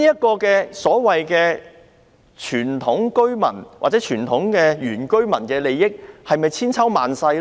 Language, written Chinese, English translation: Cantonese, 這項所謂傳統居民，或者原居民的權利，是否千秋萬世呢？, Is such a so - called traditional or indigenous right to be passed down endlessly generation after generation?